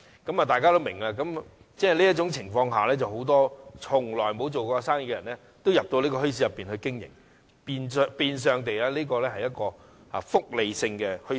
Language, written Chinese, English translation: Cantonese, 在這種情況下，很多從沒營商經驗的人也加入墟市經營生意，於是該處變相是一個"福利性"的墟市。, As such many people with no experience in running a business also operate in the bazaar and the place has practically turned into a welfare bazaar